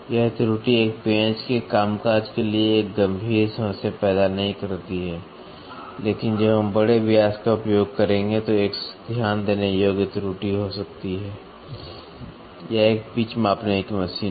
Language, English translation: Hindi, This error does not pose a serious problem for the functioning of a screw, but may result in a noticeable error, when we will be using large diameters; this is a pitch measuring machine